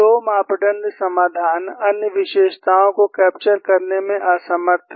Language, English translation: Hindi, The 2 parameter solution is unable to capture the other features